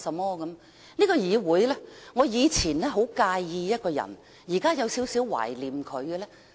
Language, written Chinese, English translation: Cantonese, 在這個議會，我以前很介意一個人，但現在有一點懷念他。, I used to dislike a certain person in this Council but now I kind of miss him